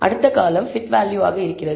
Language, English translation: Tamil, So, what is t value